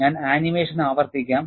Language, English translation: Malayalam, I would repeat the animation